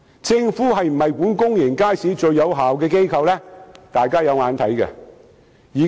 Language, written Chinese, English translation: Cantonese, 政府是否管理公眾街市最有效的機構，大家有目共睹。, Whether or not the Government is most effective in managing public markets is evident to all